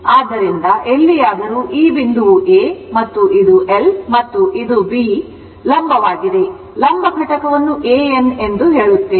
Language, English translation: Kannada, So, anywhere this point is A and this is L right and this is the vertical, your what you call vertical component say A N